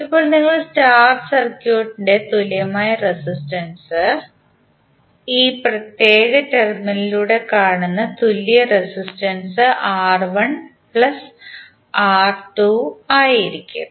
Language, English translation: Malayalam, Now if you see the star, the equivalent resistance, the equivalent resistance seen through this particular terminal would R1 plus R3